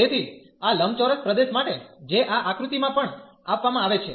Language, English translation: Gujarati, So, for this rectangular region, which is also given in this figure